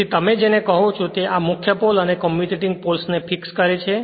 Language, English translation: Gujarati, So, this is the your what you call that your are fix the your what you call the main and commutating poles